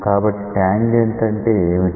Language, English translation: Telugu, So, what is the tangent